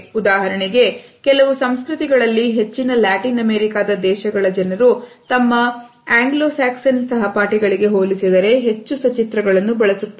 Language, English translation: Kannada, There are certain cultures for example, in most of the Latin American countries we find that people use more illustrators in comparison to their Anglo Saxon counterparts